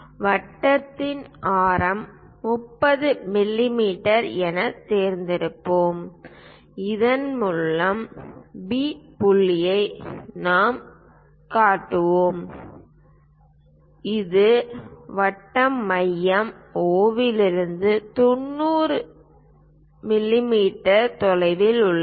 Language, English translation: Tamil, Let us pick radius of the circle as 30 mm, the point P for through which we will construct tangent is something about 90 mm away from circle centre O